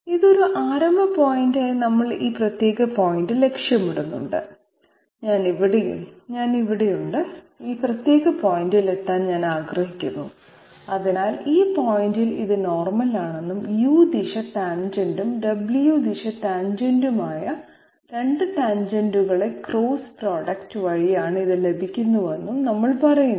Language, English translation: Malayalam, Yes, having this as a starting point and we are targeting this particular point, I am here and I want to reach this particular point, so for that we are saying that this is the normal at this point and it is obtained by cross product of 2 of the tangents which are the U direction tangent and W direction tangent which we have already understood how to calculate them